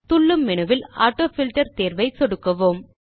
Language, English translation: Tamil, Click on the AutoFilter option in the pop up menu